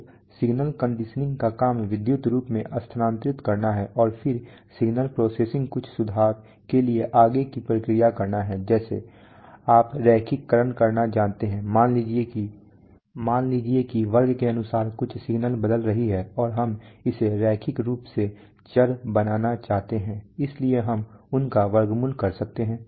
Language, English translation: Hindi, So the job of signal conditioning is to transfer to electrical form and then signal processing is to do further processing for some improvement like, you know making linearization, suppose some signal is varying according to square we do we want to make it linearly variable, so we can have a square root operation